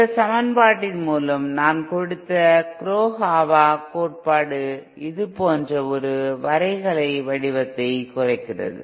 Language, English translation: Tamil, The Kurokawa theory which I gave by this equation reduces to a graphical form like this